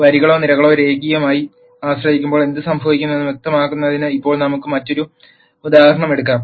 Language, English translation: Malayalam, Now, let us take another example to illustrate what happens when the rows or columns become linearly dependent